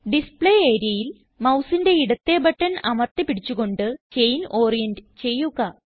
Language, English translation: Malayalam, In the Display area, click and hold the left mouse button to orient the chain